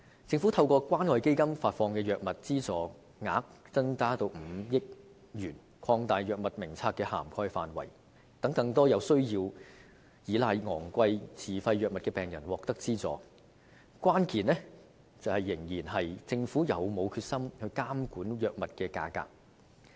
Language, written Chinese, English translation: Cantonese, 政府將透過關愛基金發放的藥物資助額增至5億元，擴大藥物名冊的涵蓋範圍，讓更多需要依賴昂貴自費藥物的病人獲得資助，但關鍵仍然在於政府有否決心監管藥物價格。, The Government will increase the amount of subsidy provided through the Community Care Fund for the purchase of drugs to 500 million and expand the coverage of the Drug Formulary to enable more patients who rely on expensive self - financed drugs to obtain assistance . But the key still lies in the Governments resolve to monitor the prices of drugs